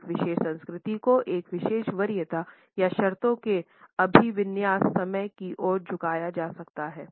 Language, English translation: Hindi, A particular culture may be inclined towards a particular preference or orientation in terms of time